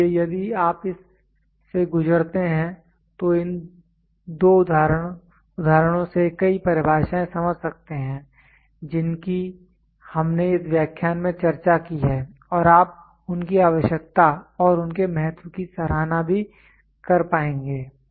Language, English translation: Hindi, So, if you go through this I these two examples many of the definitions what we discussed in this lecture you will be able to appreciate their necessity and their significance